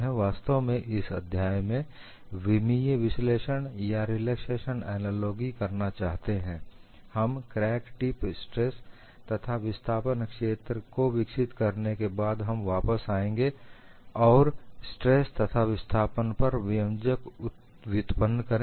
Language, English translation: Hindi, In fact, in this chapter we would go by dimensional analysis or a relaxation analogy, after we develop crack tip stress and displacement fields, we will come back and derive them based on stress and displacements